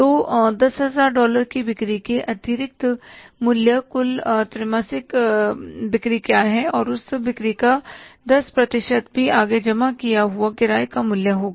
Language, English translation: Hindi, Over and about the $10,000 of sales, 10% of those sales will also be the further added rental value